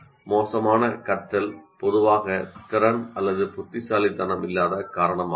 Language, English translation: Tamil, Poor learning is usually attributed to a lack of ability or intelligence